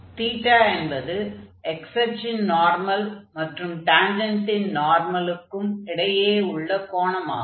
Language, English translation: Tamil, So, there it was Theta which was normal to this x axis and again the normal to the tangent